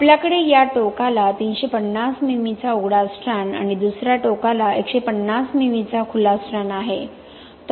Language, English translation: Marathi, We have this 350 mm exposed strand at this end and 150 mm exposed strand at the other end